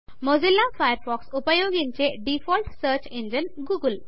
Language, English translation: Telugu, The default search engine used in Mozilla Firefox is google